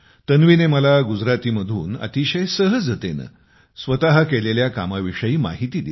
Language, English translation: Marathi, Tanvi told me about her work very simply in Gujarati